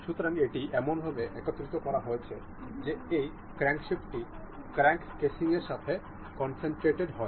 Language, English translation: Bengali, So, this has been assembled in a way that this crankshaft is concentrated with the crank casing